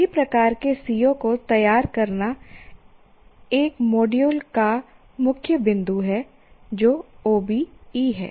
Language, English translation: Hindi, Preparing really the right kind of COs is the core point of module 1, that is OBE